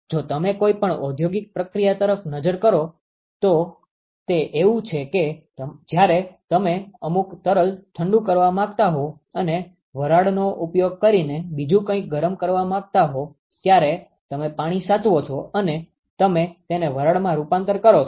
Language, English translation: Gujarati, If you look at any industrial process it is like you conserve water you convert it into steam when you want to cool some fluid and use that steam to heat something else